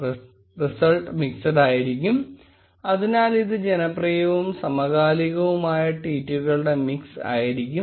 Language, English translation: Malayalam, And the result type is mixed which means that it will be a mix of popular and recent tweets